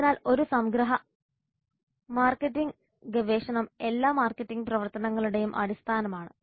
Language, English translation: Malayalam, So as a summary, marketing research is the base for all marketing activities